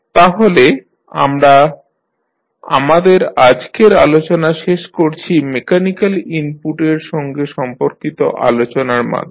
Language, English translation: Bengali, So, we close our today’s session with the discussion related to the mechanical input which we just had